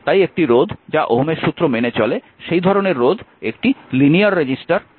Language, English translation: Bengali, So, so, resistance they does not obey Ohm’s law is known as non linear resistor